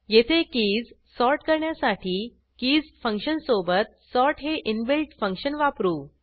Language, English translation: Marathi, Here, to sort the keys we have used the sort inbuilt function, along with the keys function